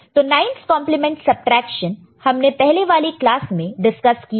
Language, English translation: Hindi, So, 9s complement subtraction we have already discussed before in an earlier class